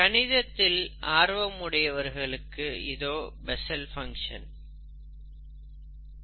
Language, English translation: Tamil, So you can look through the details of the Bessel’s functions